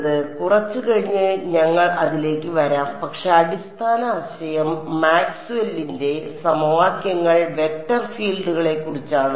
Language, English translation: Malayalam, So, we will come to that towards a little bit later, but basic idea is Maxwell’s equations are about vector fields